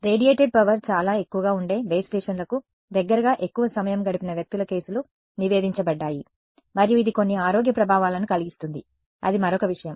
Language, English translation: Telugu, There are reported cases of people whose have spent a lot of time close to base stations where the radiated power is much higher and that has known to cause some health effects that is another thing